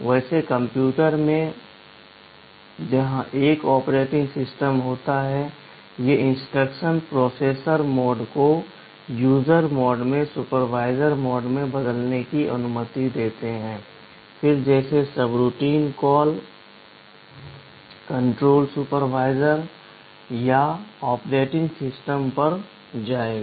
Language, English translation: Hindi, Well in a computer where there is an operating system, these instructions allow the processor mode to be changed from user mode to supervisor mode and then just like a subroutine call control will jump to the supervisor or the operating system